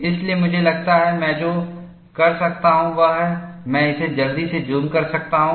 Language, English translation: Hindi, So, I think, what I can do is, I can quickly zoom it